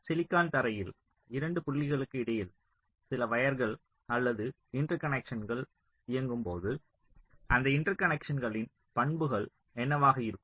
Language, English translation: Tamil, now interconnect modeling what it means, that when some wires or interconnections are run between two points on the silicon floor, so what are the properties of those interconnections